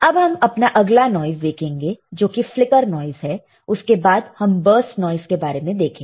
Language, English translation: Hindi, Let us see next one which is our flicker noise and then we will see burst noise